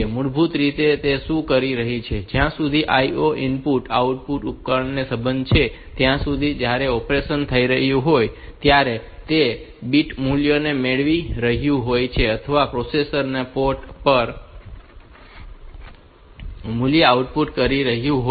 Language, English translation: Gujarati, Essentially, what it tells is that as far as an IO input output device is concerned, when the operation is taking place it is getting 8 bit values or the processor is outputting an 8 bit value to the port